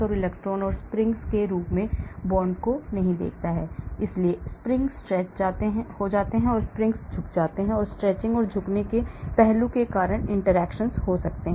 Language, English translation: Hindi, it does not look at nucleus and electrons and the bonds as springs, so springs get stretched, springs get bend and there could be interactions because of the stretching and bending aspects